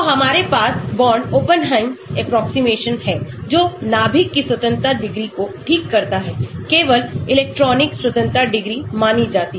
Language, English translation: Hindi, So, we have the Born Oppenheim approximation which fixes the nucleus degrees of freedom, only the electron degrees of freedom are considered